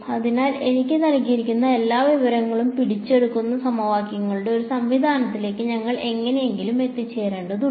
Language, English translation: Malayalam, So, we need to somehow arrive at a system of equations which captures all the information that is given to me